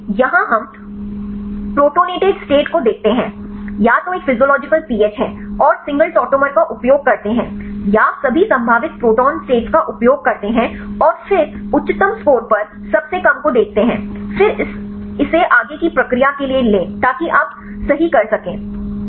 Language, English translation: Hindi, So, here we see the protonated state right either is a physiological pH and use single tautomer, or use all possible protonation states and then look at the lowest one at the highest score, then take that for the further processing so that you can do right